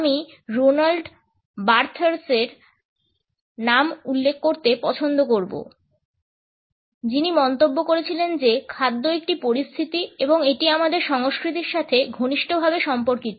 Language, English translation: Bengali, I would prefer to Roland Barthes who has commented that food is a situation and it is closely related with our culture